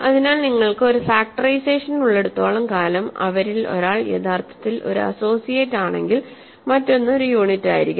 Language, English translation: Malayalam, So, as long as you have a factorisation where one of them is actually an associate then the other must be a unit